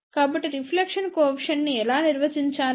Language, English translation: Telugu, So, how do we define reflection coefficient